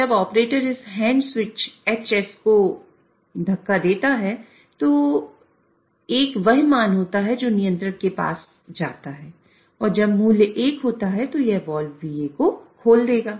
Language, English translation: Hindi, So, when the operator pushes this hand switch HS, 1 is a value which goes to the controller and when the value is 1, it will open the wall VA